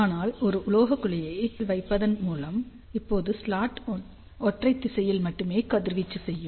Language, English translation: Tamil, So, but by putting a metallic cavity in the backside; now slot will radiate only in one direction